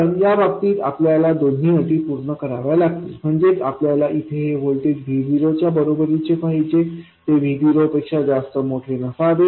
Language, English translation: Marathi, That is, you want the voltage here to be equal to VO, not much larger than VO